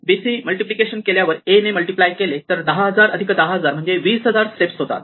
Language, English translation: Marathi, If I do A, after I do BC and I do 10000 plus 10000, so I do 20000 steps